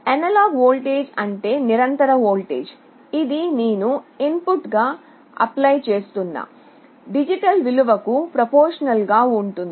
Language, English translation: Telugu, Analog voltage means a continuous voltage which will be proportional to the digital value I am applying as the input